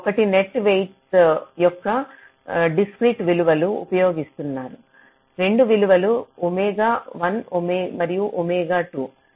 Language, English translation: Telugu, one says that you use discrete values of net weights, two values, omega one and omega two